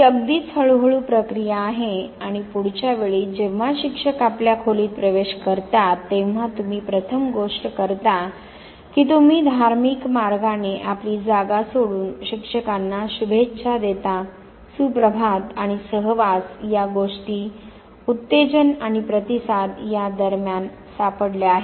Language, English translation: Marathi, This is learnt, this is in grin and next time onwards whenever teacher enters your room you first thing you do is that religiously leave your seat and wish the teacher good morning and association has been found between the stimulus and the response